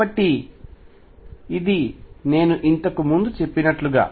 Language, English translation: Telugu, So, this as I said earlier